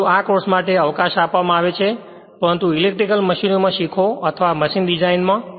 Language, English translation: Gujarati, But these are given the scope for this course, but we learn in electrical machines or in machine design right